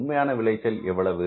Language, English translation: Tamil, Actual yield is how much